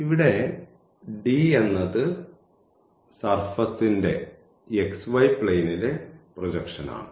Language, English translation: Malayalam, So, here this is the projection of that cylinder in the xy plane